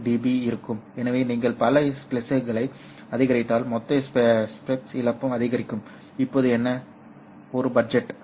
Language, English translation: Tamil, 5 db for each splice so if if you increase a number of splices, then the total splice loss also goes up